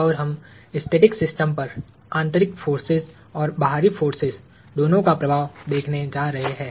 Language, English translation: Hindi, And we are going to look at both the effect of internal forces and external forces on static systems